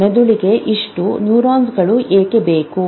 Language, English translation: Kannada, Why does brain need so many neurons